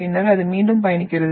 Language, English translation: Tamil, And then it travels